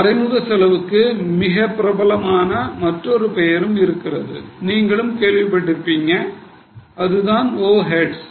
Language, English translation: Tamil, There is another name for indirect cost which is more popular and you might have heard it that is overheads